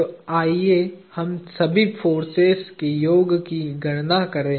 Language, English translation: Hindi, So, let us compute the summation of all the forces